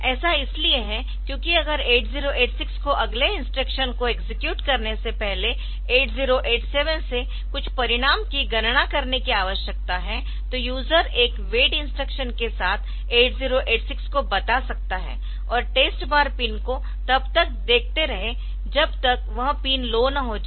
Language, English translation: Hindi, So, why because if the 8086 there is a need some result to be computed by 8087, before it can execute the next instruction then the user can tell 8086 with a wait instruction and keep looking for the test bar pin until it finds the pin low